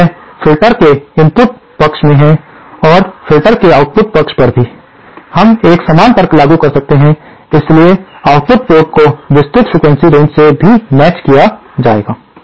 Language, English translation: Hindi, Now this is at the input side of the filters and at the output side of the filters also, we can apply a similar logic, so the output port will also be matched over a wide frequency range